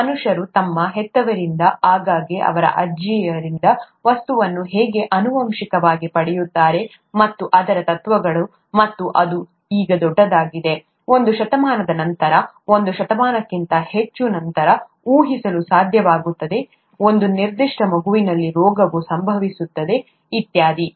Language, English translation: Kannada, How human beings inherit things from their parents, often their grandparents, and so on, the principles of that, and that has become huge now, may be a century later, much more than a century later to be able to predict whether a disease would occur in a certain child, and so on